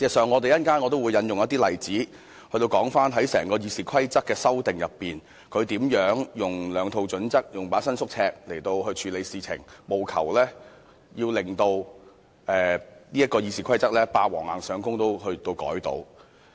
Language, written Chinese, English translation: Cantonese, 我稍後也會引述例子，說明在整個修訂《議事規則》的過程中，他如何使用兩套準則、一把伸縮尺來作出處理，務求以"霸王硬上弓"的方式修改《議事規則》。, I will illustrate with examples later how he has used two sets of standards and a flexible tape measure to handle amendments proposed to the Rules of Procedure throughout the whole process with a view to forcibly amending the Rules of Procedure